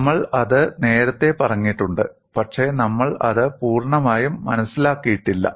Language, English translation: Malayalam, We have stated that earlier, but we are not understood it completely